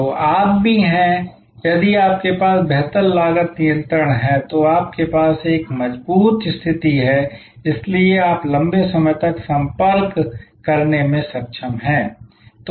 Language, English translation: Hindi, So, also you are, if you have a better cost control then you have a stronger position and therefore, you are able to negotiate longer supply contacts